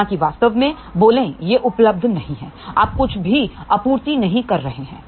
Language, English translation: Hindi, Eventhough actually speaking it is not available, you are not supplying anything